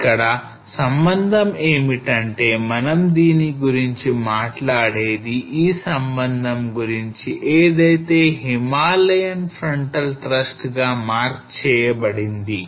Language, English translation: Telugu, So the contact here as we were talking about this is the contact which is marked by Himalayan frontal thrust